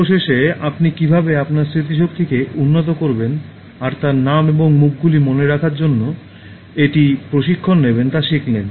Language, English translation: Bengali, In the last one, you learnt how to improve your memory and train it for remembering names and faces